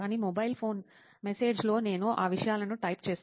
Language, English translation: Telugu, But mobile phone, in message I type those things